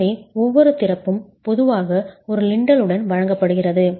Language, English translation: Tamil, So every opening is typically provided with a lintel